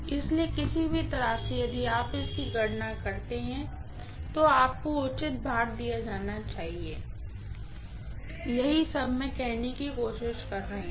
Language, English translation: Hindi, So, either way if you calculate it, you should be given due weightage, that is all I am trying to say